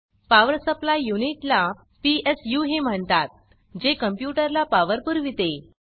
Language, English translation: Marathi, Power Supply Unit, also called PSU, supplies power to the computer